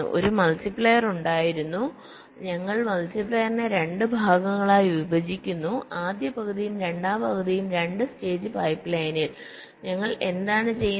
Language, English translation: Malayalam, so it was something like this: so there was a multiplier, we divide the multiplier into two parts, first half and the second half, in a two stage pipe line, and what we do